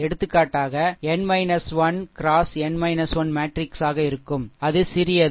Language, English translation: Tamil, So, accordingly it will be n minus 1 into n minus 1 matrix